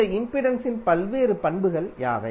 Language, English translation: Tamil, What are the various properties of this impedance